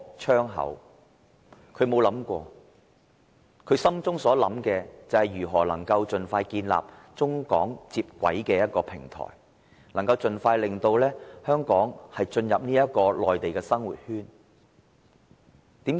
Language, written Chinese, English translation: Cantonese, 他所想的只是如何能盡快建立中港接軌的平台，盡快令香港進入內地的生活圈。, He is only thinking about establishing a Hong Kong - China integration platform expeditiously so that Hong Kong may assimilate into life on the Mainland